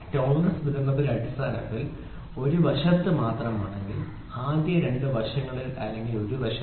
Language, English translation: Malayalam, So, if when the tolerance distribution is only on one side of the basic, one side either in the first two side or the